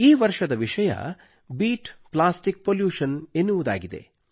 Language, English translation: Kannada, This time the theme is 'Beat Plastic Pollution'